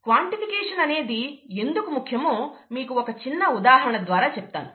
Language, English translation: Telugu, I will give you a very simple example to understand why quantification is important